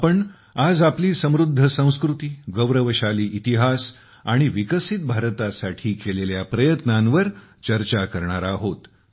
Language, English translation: Marathi, We will discuss our rich culture, our glorious history and our efforts towards making a developed India